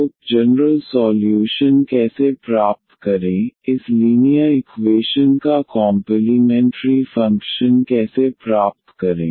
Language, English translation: Hindi, So, how to get the general solution, how to get the complementary function of this a linear equation